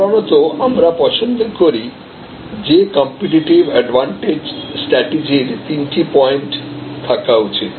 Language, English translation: Bengali, So, normally we prefer that a competitive advantage strategy should have about three points